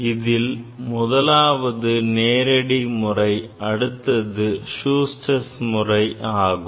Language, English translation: Tamil, One is Direct method another is Schuster